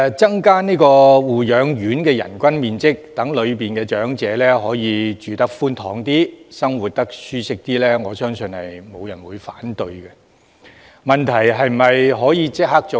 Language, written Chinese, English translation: Cantonese, 增加護養院的人均樓面面積，讓在護養院居住的長者住得較寬敞，生活較舒適，我相信沒有人會反對，問題是可否立即做到？, I believe nobody will object to an increase of the area of floor space per nursing home resident so that elderly residents can live more comfortably in a more spacious environment . The question is whether it can be achieved immediately?